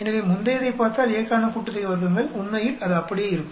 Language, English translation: Tamil, So, if you look at the previous one, sum of squares for A, in fact it will come out to be the same